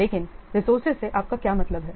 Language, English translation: Hindi, First of all, what do you mean by resource